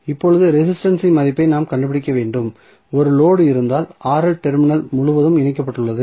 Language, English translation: Tamil, Now, we have to find the value of resistance suppose if there is a load say Rl connected across the terminal AB